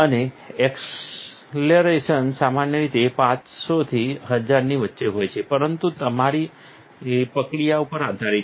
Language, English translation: Gujarati, And the acceleration normally between 500 and 1000, but itÃs depending on your process